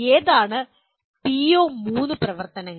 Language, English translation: Malayalam, Which are the PO3 activities